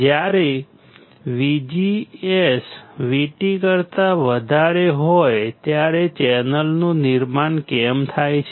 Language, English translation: Gujarati, But when my VGS is greater than VT, then there will be formation of channel